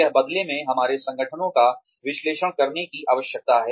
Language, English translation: Hindi, This in turn, leads to a need to analyze our organizations